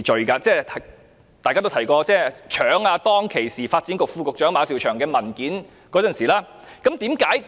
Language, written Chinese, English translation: Cantonese, 大家剛才也提及，他當時是搶時任發展局副局長馬紹祥的文件。, As Members also mentioned earlier on he had grabbed a document from the then Under Secretary for Development Eric MA